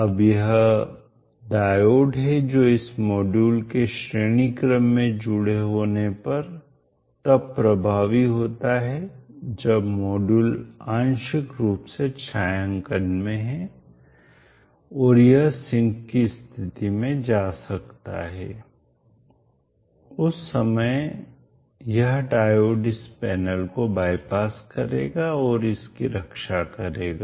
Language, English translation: Hindi, So one of the diodes that we need to add is across the terminal like this, now this is the diode which will become effective whenever this module is connected in series and if it is having partial shading this may go into the shrinking mode at which time this diode will bypass this panel and protect it